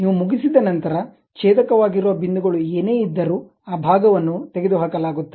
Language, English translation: Kannada, Once you are done, whatever those intersecting points are there, that part will be removed